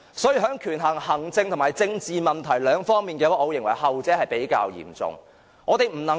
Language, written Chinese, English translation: Cantonese, 所以，在權衡行政和政治問題兩方面，我認為後者是較為嚴重的。, Hence I have weighed the likely impacts of the administrative and political problems involved and consider those of the latter more serious